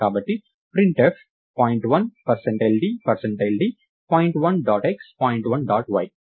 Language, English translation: Telugu, So, printf point 1 percentage d percentage d print point 1 dot x and point 1 dot y